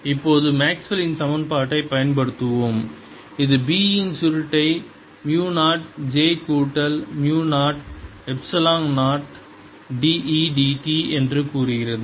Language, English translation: Tamil, let us now use the maxwell's equation which says that curl of b is mu naught j plus mu naught, epsilon naught, d e d t